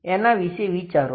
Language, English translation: Gujarati, Think about it